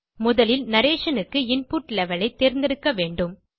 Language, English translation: Tamil, First of all, you have to select the Input Level for the narration